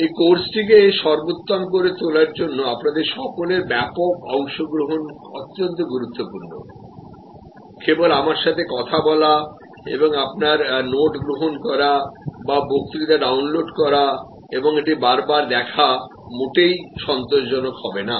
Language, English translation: Bengali, Wider participation from all of you would be very important to make this course superlative, just my talking to you and your listening and taking notes or downloading the lecture and seeing it again will not be at all satisfactory